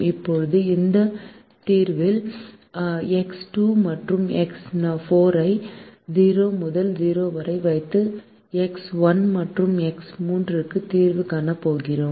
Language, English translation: Tamil, now, in this second solution, we are going to solve for x one and x three by keeping x two and x four to zero